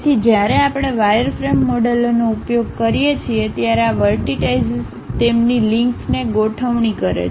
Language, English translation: Gujarati, So, when we are using wireframe models, these vertices adjust their links